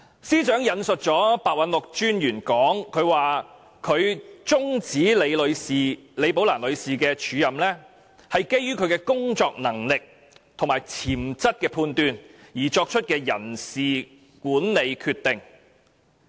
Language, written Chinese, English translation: Cantonese, 司長引述廉政專員白韞六的說法，指出終止李寶蘭女士的署任安排，是基於對其工作能力及潛質的判斷而作出的人事管理決定。, The Chief Secretary quoted the remarks made by ICAC Commissioner Simon PEH and pointed out that the termination of the acting appointment of Ms Rebecca LI is a personnel management decision made on the basis of a judgment on Ms LIs ability and potential